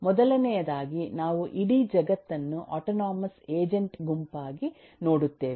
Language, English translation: Kannada, The first thing is we view the whole world as a set of autonomous agents